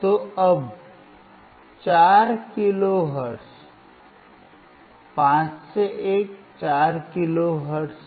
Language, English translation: Hindi, So now, 4 kilo hertz (5 – 1) is 4 kilo hertz